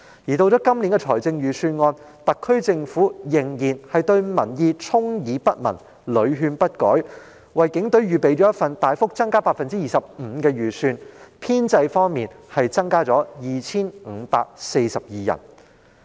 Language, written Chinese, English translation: Cantonese, 及至今年的預算案，特區政府仍然對民意充耳不聞，屢勸不改，為警隊預備一份款額大幅增加 25% 的預算開支，編制方面的增幅則達到 2,542 人。, In the Budget this year the SAR Government kept turning a deaf ear to public opinion and repeated advice and has proposed a significant increase of 25 % in the estimated expenditure for the Police Force together with an increase of 2 542 staff members in its establishment